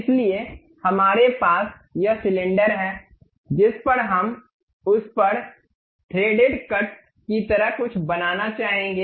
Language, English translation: Hindi, So, we have this cylinder on which we would like to have something like a threaded cut on it